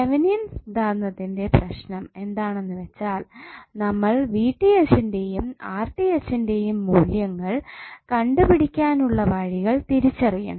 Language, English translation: Malayalam, So the problem with the Thevenin’s theorem is that you have to identify the ways how you will calculate the value of VTh and RTh